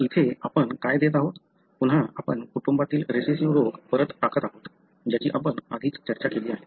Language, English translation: Marathi, So, here what we are giving is, again we are putting back the recessive disease in a family, something that we already discussed